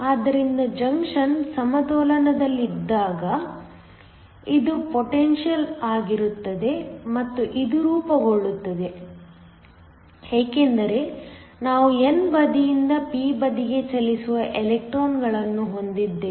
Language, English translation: Kannada, So, It is the potential when the junction is equilibrium and this forms because we have electrons from the n side moving into the p side